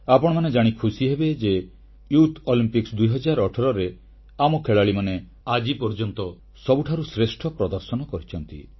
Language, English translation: Odia, You will be pleased to know that in the Summer Youth Olympics 2018, the performance of our youth was the best ever